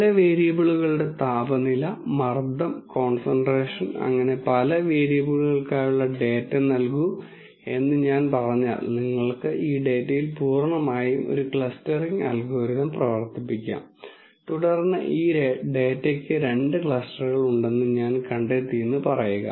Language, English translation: Malayalam, If I let us say give you data for several variables temperatures, pressures, concentrations and so on ow for several variables then you could run a clustering algorithm purely on this data and then say I find actually that there are two clusters of this data